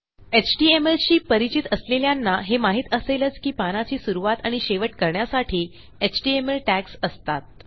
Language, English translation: Marathi, Those of you that are familiar with html will know that there are html tags to start your page and to end your page